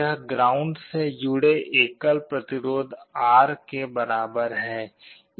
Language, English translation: Hindi, This is equivalent to a single resistance R connected to ground